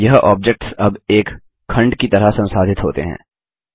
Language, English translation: Hindi, These objects are now treated as a single unit